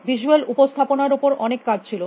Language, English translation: Bengali, There is more work on visual representation